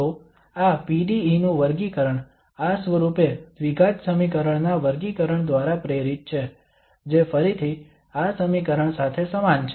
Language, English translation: Gujarati, So the classification of this PDE is motivated by the classification of the quadratic equation of this form which is again analogous to this equation